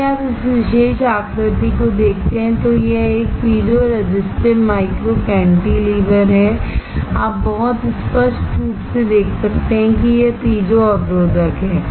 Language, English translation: Hindi, If you see this particular figure, this is a piezo resistive micro cantilever, you can see this is piezo resistor, very clearly